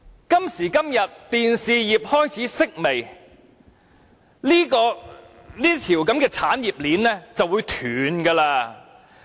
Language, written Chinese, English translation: Cantonese, 今時今日，電視業開始式微，這條產業鏈也將不保。, This industry chain is now at stake as the television industry is beginning to decline